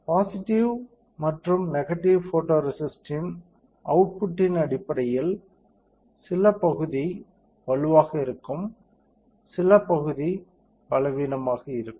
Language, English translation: Tamil, So, based on the exposure to positive and negative photoresist, some area will be stronger, some area will be weaker